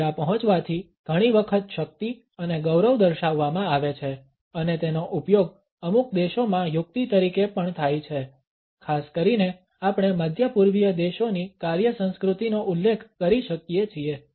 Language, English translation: Gujarati, Power and dignity are often shown by arriving late and it is also used as a tactic in certain countries particularly we can refer to the work culture of the Middle Eastern countries